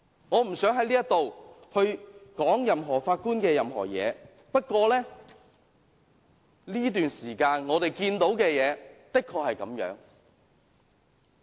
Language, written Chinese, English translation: Cantonese, 我不想在此說有關任何法官的任何事情，不過，我們在這段時間看到的事情的確如此。, I do not wish to say anything about any Judge yet this is truly what we have seen during this period